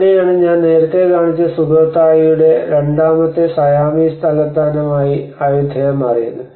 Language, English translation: Malayalam, So that is where the Ayutthaya has became the second Siamese capital of the Sukhothai, Sukhothai which I showed you earlier